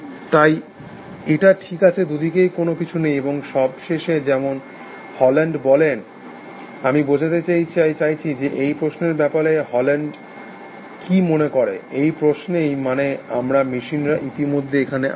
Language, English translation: Bengali, So, that is fine, there is nothing either ways, and finally, as Haugeland said, I mean, I that the and to what Haugeland thinks about this question, that are we machines